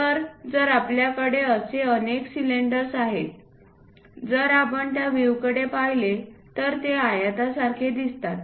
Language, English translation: Marathi, So, if we have multiple cylinders such kind of thing, if we are looking from this view they appear like rectangles